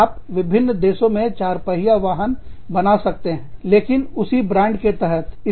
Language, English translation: Hindi, You could be making, four wheelers, in a different country, but, under the same brand